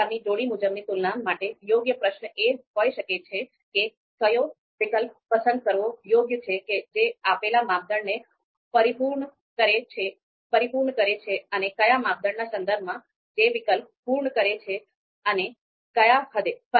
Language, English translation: Gujarati, Now an appropriate question for this kind of pairwise comparison could be which alternative is prefer preferable to fulfil the fulfil the given criteria and to what extent